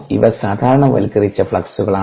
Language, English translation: Malayalam, these are normalized fluxes